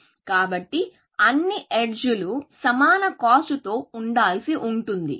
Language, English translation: Telugu, So, all edges were supposed to be of equal cost